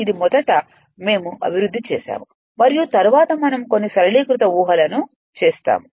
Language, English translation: Telugu, This is first we developed and then we make some simplified assumptions right